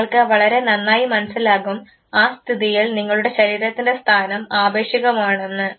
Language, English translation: Malayalam, You have to understand very well the relative position of your body in the space